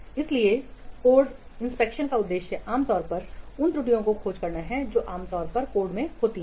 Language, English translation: Hindi, So the objective, the aim of code inspection is to discover those commonly made errors that usually creep into the code